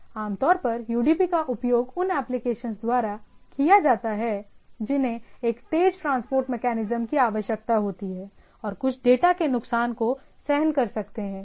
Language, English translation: Hindi, So usually UDP is used for application that need a fast transport mechanisms and can tolerate some loss of data right